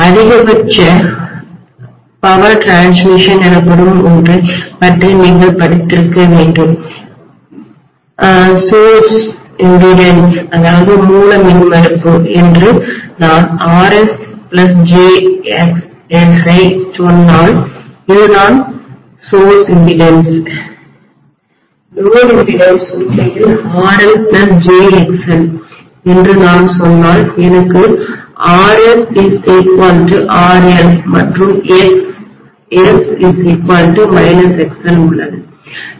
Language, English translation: Tamil, You guys must have studied about something called maximum power transfer, when if I say that the source impedance is Rs plus jXs this is the source impedance, the load impedance if it is actually RL plus jXL if I may say then I have RS equal to RL and Xs equal to minus XL I am going to have maximum power transfer, right